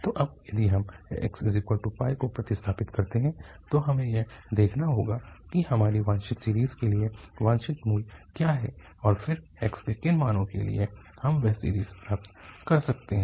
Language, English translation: Hindi, So, if we substitute now, x is equal to pi, that we have to see that what is desired value, our desired series and then for what values of x we can get that series